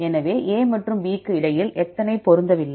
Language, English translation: Tamil, So, how many mismatches between A and B